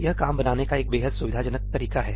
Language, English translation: Hindi, It is an extremely convenient way of creating work